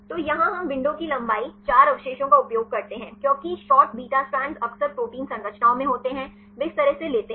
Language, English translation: Hindi, So, here we use window length the 4 residues, because short beta strands are frequently occurring in protein structures they this way we take 4